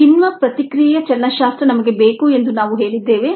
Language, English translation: Kannada, we said that we need the kinetics of the enzyme reaction